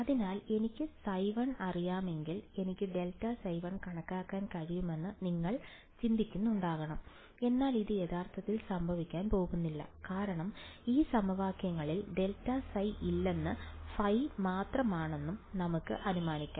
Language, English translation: Malayalam, So, you must be thinking that, if I know phi 1 I can calculate grad phi one, but that is actually not going to happen, because let us assume that there was no grad phi in these equations and only phi